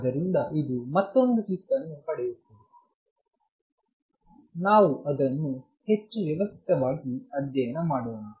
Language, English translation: Kannada, So, it gets another kick, let us do it more systematically